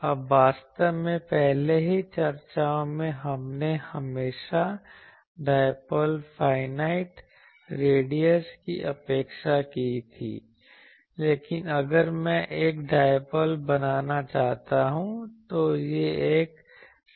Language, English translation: Hindi, Now, actually in the earlier discussions we always neglected the finite radius of the dipole, but actually if I want to make a dipole, it will be a cylinder